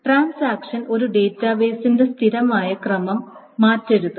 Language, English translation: Malayalam, So the transactions should not change the consistent order of a database